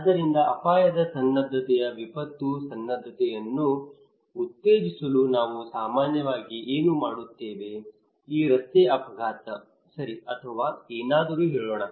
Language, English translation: Kannada, So what we do generally in order to promote disaster preparedness of risk preparedness let us say this road accident okay or something